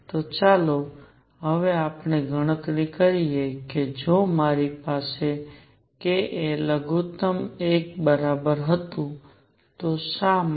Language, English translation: Gujarati, So, let us now enumerate if I have k minimum was equal to 1, why